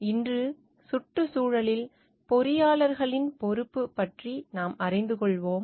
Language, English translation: Tamil, Today, we will learn about the responsibility of the engineers towards the environment